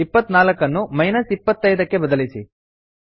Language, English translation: Kannada, Change 24 to minus 25 Save and Run